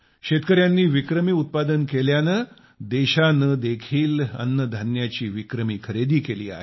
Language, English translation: Marathi, The farmers produced record output and this time the country went on to procure record amount of crops